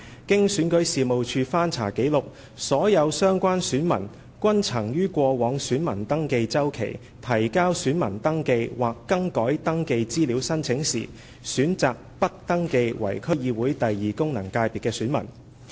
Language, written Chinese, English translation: Cantonese, 經選舉事務處翻查紀錄，所有相關選民均曾於過往選民登記周期提交選民登記或更改登記資料申請時，選擇不登記為區議會功能界別的選民。, REO after checking the relevant records found that all the electors concerned had chosen not to be registered as an elector for the DC second FC when submitting their applications for voter registration or change of registration particulars during previous voter registration cycles